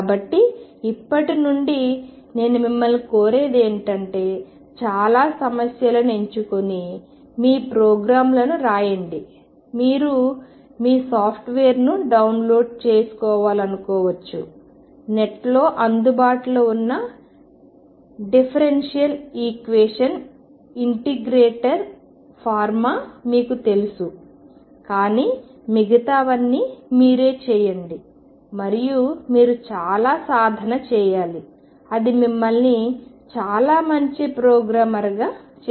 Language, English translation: Telugu, So, what I would urge you to do now from now on is pick up a lot of problems, write your programs you may want to download your software you know the differential equation integrator form whatever is available on the net, but rest you have to do and you have to practice a lot that only makes you a very good programmer